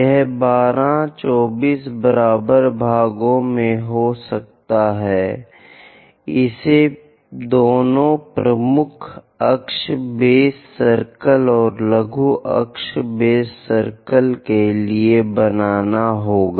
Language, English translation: Hindi, It can be 12, 24 equal number of parts one has to make it for both the major axis base circle and also minor axis base circle